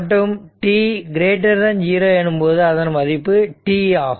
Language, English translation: Tamil, So, it is 0, but except at t is equal to t 0